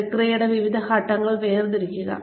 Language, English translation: Malayalam, Demarcate different steps of the process